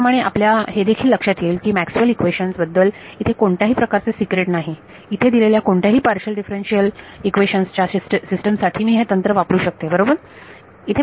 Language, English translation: Marathi, Also, you notice that there is nothing very secret about Maxwell’s equations here given any system of partial differential equations I can use this technique right